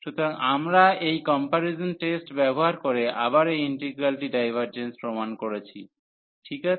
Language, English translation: Bengali, So, we have proved the divergence of this integral again using these comparison test ok